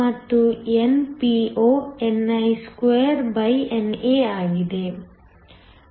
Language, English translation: Kannada, And, NPo is ni2NA